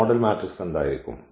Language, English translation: Malayalam, What will be the model matrix